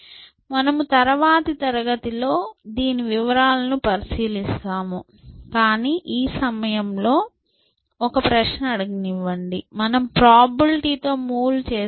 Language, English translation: Telugu, So, we will look at the details in the next class, but let me ask you one question at this moment, when I say make a move with the probability